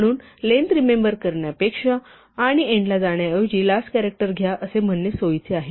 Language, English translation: Marathi, So, instead of having to remember the length and then go to the end, it is convenient to say take the last character